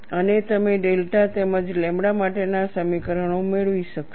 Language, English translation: Gujarati, So, this gives you a final expression delta equal to lambda